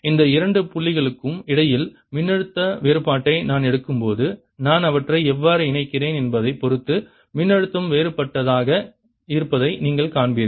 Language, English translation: Tamil, when i take voltage difference between these two points, depending on how i connect them, you will see that the voltage comes out to be different